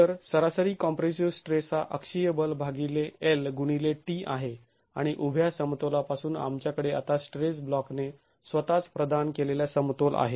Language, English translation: Marathi, So, the average compressive stress is the axial force divided by L into T and from vertical equilibrium we now have equilibrium provided by the stress block itself